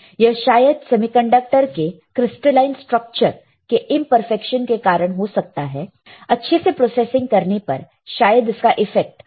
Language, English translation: Hindi, It may be related to imperfection in the crystalline structure of semiconductors as better processing can reduce it